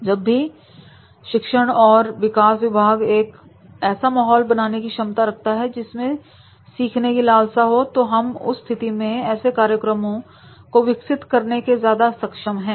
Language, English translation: Hindi, Whenever a learning and development department is able to create an environment of learning, then in that case you will find that is they are able to develop these type of these programs